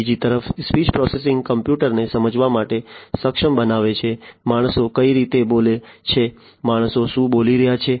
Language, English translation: Gujarati, Speech processing, on the other hand, is enabling a computer to understand, the way humans speak, what the humans are speaking